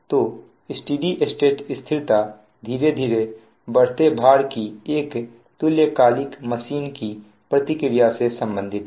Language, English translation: Hindi, that steady state stability leads to a response of a synchronous machine to a gradually increasing load